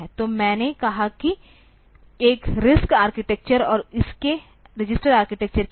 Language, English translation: Hindi, So, I said that with a RISC architecture and its registered reach architecture